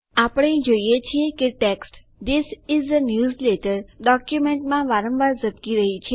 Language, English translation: Gujarati, We see that the text This is a newsletter constantly blinks in the document